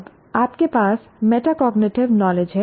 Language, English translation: Hindi, Now you have metacognitive knowledge